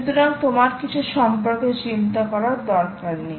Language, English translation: Bengali, so, ah, you have nothing to you, dont have to worry about anything here